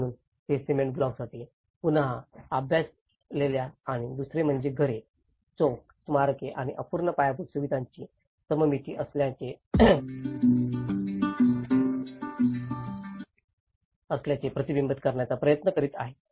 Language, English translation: Marathi, So, they are trying to reflect as a memory which is a completely studied for cement blocks and the second, is a symmetry of houses, squares, monuments and unfinished infrastructure